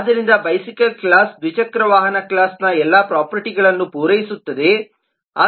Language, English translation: Kannada, so the bicycle class satisfies all the properties of the two wheeler class